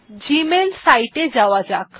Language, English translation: Bengali, Lets go to gmail site here